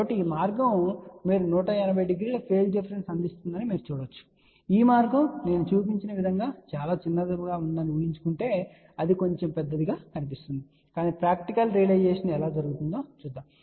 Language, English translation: Telugu, So, this path you can see that this will provide a phase difference of one 180 degree and assuming that this path is very very small the way I have shown it looks little larger but we will show you how the practical realization takes place